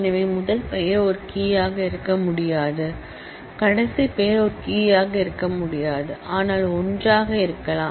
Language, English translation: Tamil, So, first name itself cannot be a key last name itself cannot be a key, but together